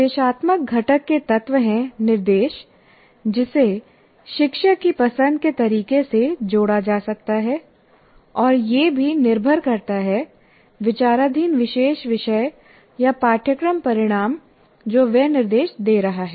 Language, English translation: Hindi, And the instructional components are, you can say, elements of instruction that can be combined in the way the teacher prefers and also depending on the particular topic under consideration or the course outcome that you are instructing in